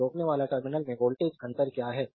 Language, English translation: Hindi, So, what is the voltage difference across the resistor terminal